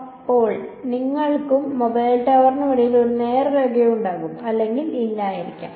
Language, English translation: Malayalam, Now, there may or may not be a direct line of sight between you and the mobile tower right